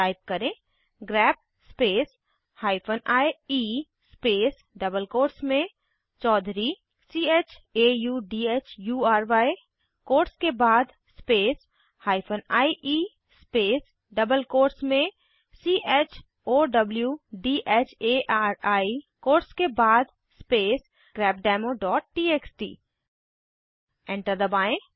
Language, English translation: Hindi, Type: grep space hyphen ie space in double quotes chaudhury after the quotes space hyphen ie space in double quotes chowdhari after the quotes space grepdemo.txt Press Enter